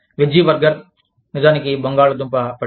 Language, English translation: Telugu, The veggie burger, is actually a potato patty